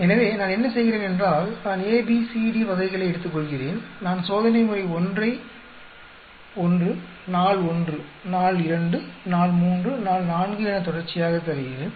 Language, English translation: Tamil, So, what do I do is, I take variety A, B, C, D I give a treatment 1, day one, day two, day three, day four consecutively